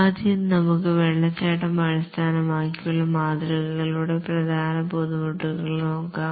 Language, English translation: Malayalam, First let's look at the major difficulties of the waterfall based models